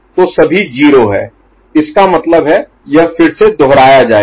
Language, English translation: Hindi, So, this is all 0 means again it will get repeated